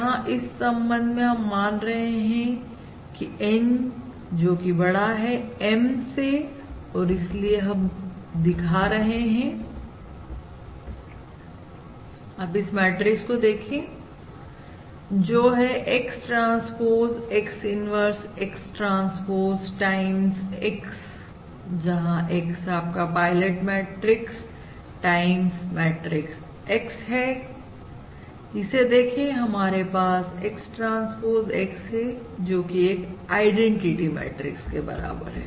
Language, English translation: Hindi, So we can consider the case where N is in fact simply greater than M and therefore what we are going to show now is, if you look at this, matrix X transpose X, inverse, X transpose times the matrix X, where X is the pilot matrix, times the matrix X